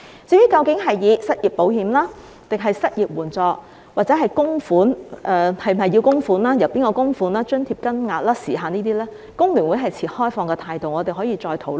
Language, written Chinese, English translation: Cantonese, 至於這應名為失業保險或失業援助，應否供款、由誰供款、津貼金額、時限等，工聯會持開放態度，我們可以再討論。, As for whether it should be named unemployment insurance or unemployment assistance whether it should be contributory who should make the contribution the amount of the allowance and the time limit HKFTU keeps an open mind and we can discuss it further